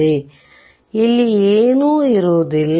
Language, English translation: Kannada, So, there will be nothing here